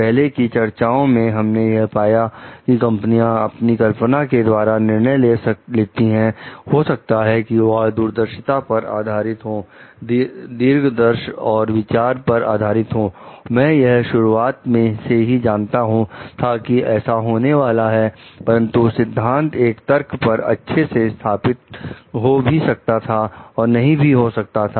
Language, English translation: Hindi, In the earlier discussions, we find found like the sometimes the complaints are made maybe based on assumptions, maybe based on foresight and hindsight and thinking like, I knew it from the start, I like this is going to happen, but may or may not be very well founded on theoretical reasoning